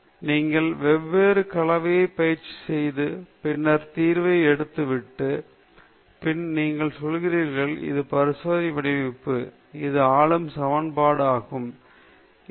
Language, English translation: Tamil, You try various combinations, and then, throwing up of the solution, and then, you say: this will be my experimental design; this will be the governing equation; this will be the problem I will solve